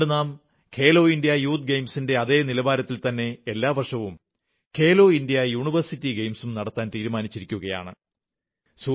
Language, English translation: Malayalam, Therefore, we have decided to organize 'Khelo India University Games' every year on the pattern of 'Khelo India Youth Games'